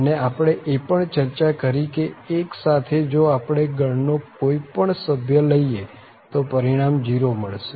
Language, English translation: Gujarati, And, we have also discussed that with 1 also, if we take any other member of the family again, the result will be 0